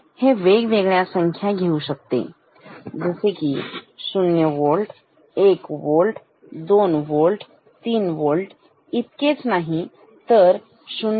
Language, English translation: Marathi, So, this can take values like say 0 Volt, 1 Volt, 3 Volt even in something in between 0